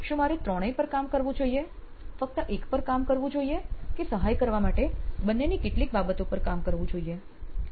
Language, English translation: Gujarati, Should I work on all 3, should I work on only 1, should I work on 2 some things that to help o